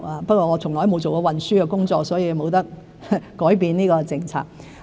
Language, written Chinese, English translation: Cantonese, 不過，我從來都沒有做過運輸的工作，所以不能改變這個政策。, However as I have never assumed any positions on transport issues I could not have made any changes to this policy